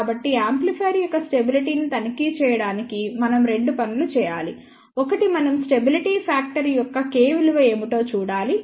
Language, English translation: Telugu, So, to check the stability of the amplifier we need to do two things; one is we have to see what is the stability factor K value